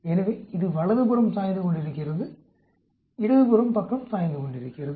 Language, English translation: Tamil, So, it is leaning towards the right hand side, leaning towards the left hand side